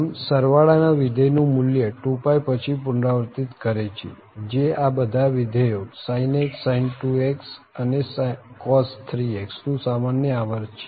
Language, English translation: Gujarati, So, the sum will also as the sum function will also repeat its value after this 2 pie period which is the common period of all these functions sin x sin2x and cos3x